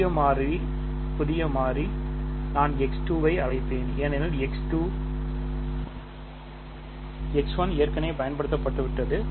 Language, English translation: Tamil, The new variable I will call x 2 because x 1 is already used